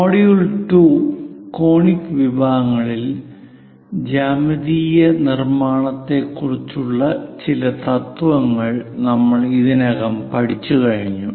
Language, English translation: Malayalam, In module 2, conic sections, we have already covered some of the principles on geometric constructions